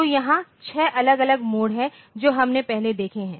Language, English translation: Hindi, So, here there are six different mode that we have seen previously